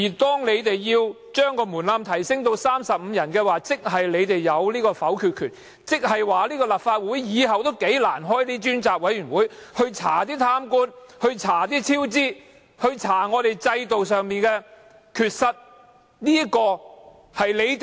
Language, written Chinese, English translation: Cantonese, 把呈請書門檻提升至35人，意味你們擁有否決權，立法會日後將難以成立專責委員會調查貪官、超支和制度上的缺失。, Raising the threshold of petition to 35 Members means placing a veto into your hands and making it difficult for the Legislative Council to through the formation of select committees investigate corrupt officials cost overruns and institutional flaws